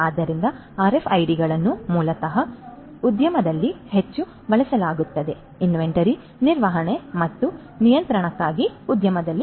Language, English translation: Kannada, So, RFIDs basically are used heavily in the industry; in the industry for inventory management and control